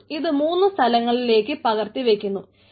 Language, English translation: Malayalam, it replicate the data into three places